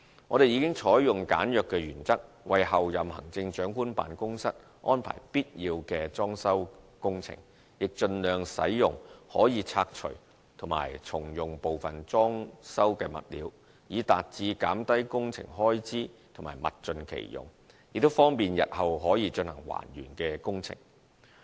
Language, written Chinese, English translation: Cantonese, 我們已採用簡約原則為候任行政長官辦公室安排必要的裝修工程，亦盡量使用可以拆除及重用部分裝修物料，以達至減低工程開支及物盡其用，亦方便日後可進行還原工程。, The principle of simplicity is pursued for the necessary fitting - out works of the Office of the Chief Executive - elect . We also strive to use demountable items and reuse some of the fitting - out materials in order to lower the cost of works making the best use of materials and facilitating reinstatement in future